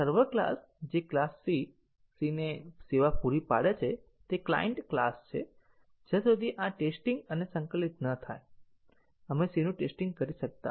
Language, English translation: Gujarati, So, the server classes which provides service to the class C, C is the client class unless these have been tested and integrated, we cannot test C